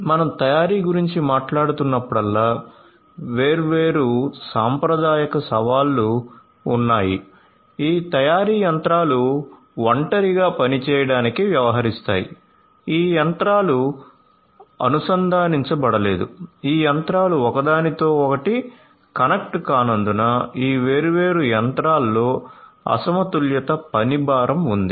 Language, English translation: Telugu, So, whenever we are talking about manufacturing traditionally there were different challenges, this manufacturing machines deals to work in isolation they these machines were not connected, there were different other challenges such as because these machines were not connected with one another, you know there was unbalanced work load in this different machines